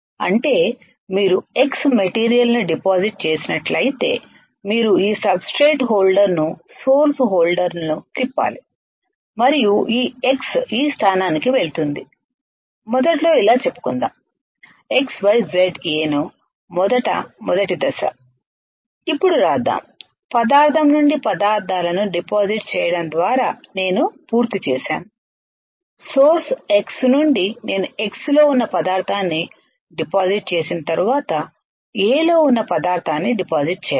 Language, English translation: Telugu, That means if you are done depositing X material then you have to turn this sub source holder turn the source holder right and this X will go to this position, let us say initially it was like this let us write X Y Z A alright initially first step, now once I am done by of depositing materials from substance, from the source X once I am done depositing the material which is in X we have to deposit a material which is on A alright that is our process